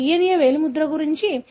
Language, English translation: Telugu, So, that’s about the DNA finger printing